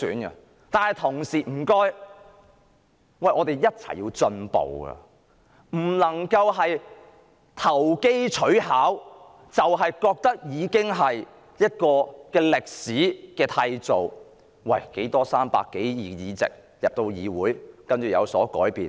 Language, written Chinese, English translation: Cantonese, 請大家一起進步，不能投機取巧，認為港人已締造歷史，認為泛民有300多個區議會議席，將令議會有所改變。, I hope we can make progress together and do not resort to trickery . We should not think that the people of Hong Kong have already made history or that the winning of over 300 DC seats by the pan - democratic camp would bring changes to the legislative assembly